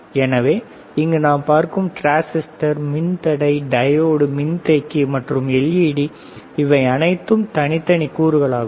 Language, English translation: Tamil, So, you have transistors resistor, diode, capacitor, you have light emitting diode, isn't it